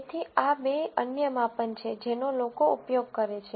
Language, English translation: Gujarati, So, these are two other measures that people use